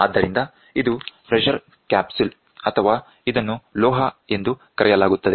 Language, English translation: Kannada, So, this is the pressure capsule or it is called metal